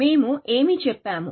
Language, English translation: Telugu, What are we saying